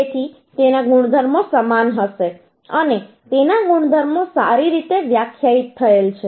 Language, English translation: Gujarati, So therefore its property will be uniform and its properties are well defined